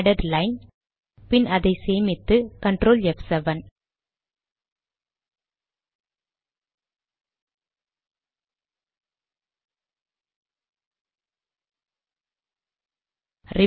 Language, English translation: Tamil, Added Line, Save it, then Ctrl F7